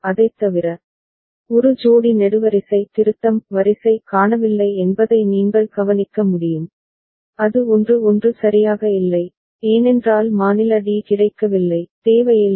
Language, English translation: Tamil, Other than that, what you can notice that one pair of column (correction: row) is missing that is 1 1 is not there right, because state d is not available, not required ok